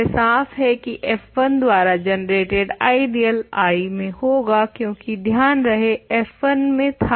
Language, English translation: Hindi, So, clearly the ideal generated by f 1 is an I, because f 1 remember is in I